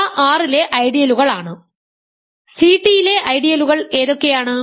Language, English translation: Malayalam, So, these are ideals in R what are the corresponding ideals in C t